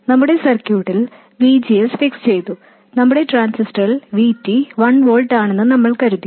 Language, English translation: Malayalam, In our circuit VGS is fixed and we thought that VT was 1 volt for our transistor